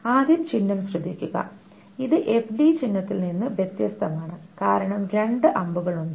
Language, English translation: Malayalam, This is a different from the FD symbol because there are two arrows